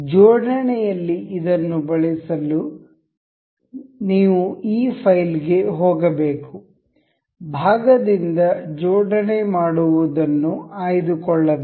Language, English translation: Kannada, To use this in assembly you have to go to this file go to make assembly from part